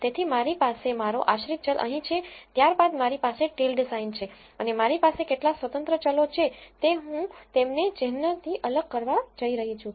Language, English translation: Gujarati, So, I have my dependent variable here then I have a tilde sign and how many ever independent variables I have I am going to separate them with a plus sign